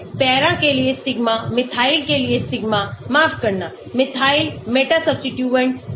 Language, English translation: Hindi, Sigma for para, sigma for Methyl, sorry not Methyl Meta substituents